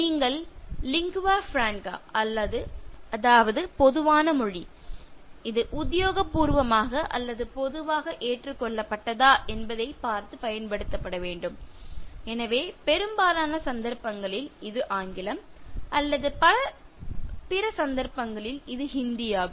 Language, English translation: Tamil, You should use the lingua franca, that is the common language, that is used whether it is official or commonly accepted so in most cases it is English or in most of the other cases it is Hindi